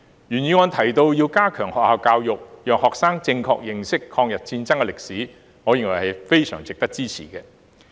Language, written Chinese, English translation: Cantonese, 原議案提到要加強學校教育，讓學生正確認識抗日戰爭歷史，我認為值得支持。, The original motion proposed to strengthen school education to facilitate students correct understanding of the history of the War of Resistance . I think it does merit support